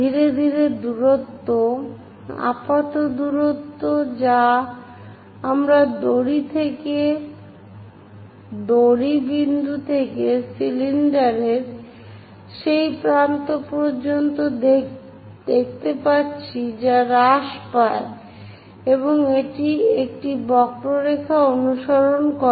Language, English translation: Bengali, Gradually, the distance, the apparent distance what we are going to see from the rope point to that end of the cylinder decreases and it follows a curve named involutes